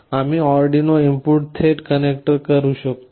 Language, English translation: Marathi, We can directly connect to the Arduino input connectors